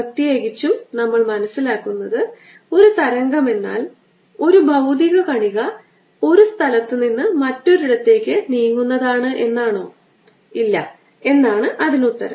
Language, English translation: Malayalam, in particular, we want to understand: does a wave mean that a material particle moves from one place to another